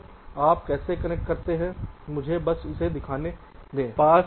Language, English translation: Hindi, because you see, let me just show it here